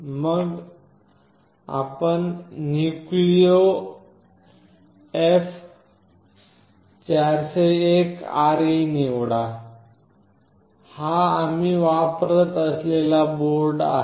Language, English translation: Marathi, And then you select NucleoF401RE; this is the board that we are using